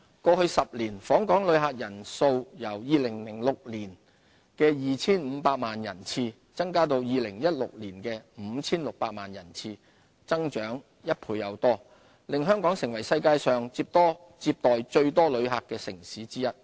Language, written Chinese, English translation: Cantonese, 過去10年，訪港旅客人數由2006年的 2,500 萬人次，增加至2016年的 5,600 萬人次，增長一倍多，令香港成為世界上接待最多旅客的城市之一。, Over the past decade the number of visitor arrivals has more than doubled from 25 million in 2006 to 56 million in 2016 making Hong Kong one of the most popular cities in the world in terms of visitor arrivals